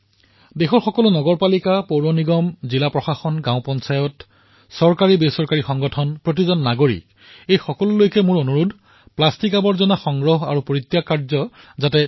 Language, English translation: Assamese, I urge all municipalities, municipal corporations, District Administration, Gram Panchayats, Government & non Governmental bodies, organizations; in fact each & every citizen to work towards ensuring adequate arrangement for collection & storage of plastic waste